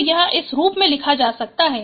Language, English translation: Hindi, So this can be written as in this form